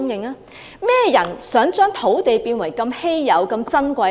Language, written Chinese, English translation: Cantonese, 甚麼人想香港的土地一直保持珍貴？, Who wants the land in Hong Kong to remain a precious commodity?